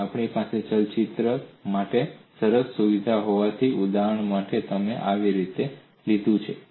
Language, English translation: Gujarati, And since we have a nice facility for animation for illustration I have taken it like this